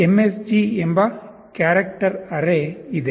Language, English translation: Kannada, There is a character array called msg